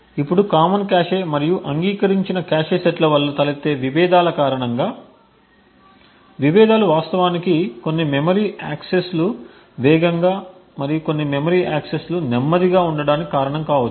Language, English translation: Telugu, Now due to the conflicts that arise due to the common cache and the agreed upon cache sets, the conflicts may actually cause certain memory accesses to be faster and certain memory access to be slower